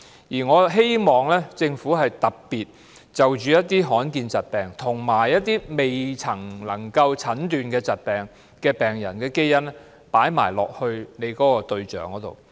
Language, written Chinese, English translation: Cantonese, 而我希望政府特別就罕見疾病，以及一些未能診斷疾病的患者的基因列為計劃的研究對象。, I hope the Government will especially include as research subjects the genomes of patients suffering from rare or indeterminable diseases